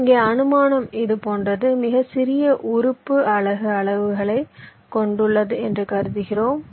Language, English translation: Tamil, here the assumption is like this: we assume that the smallest element has unit size